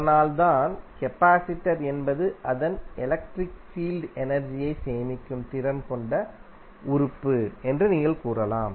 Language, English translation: Tamil, So that is why you can say that capacitor is element capacitance having the capacity to store the energy in its electric field